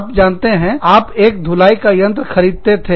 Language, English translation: Hindi, You know, you bought, one washing machine